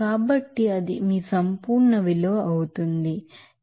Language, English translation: Telugu, So, that will be your absolute value this is simply you can write 1